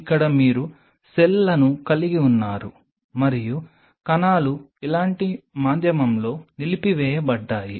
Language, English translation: Telugu, So, here you have the cells and cells are suspended in a medium like this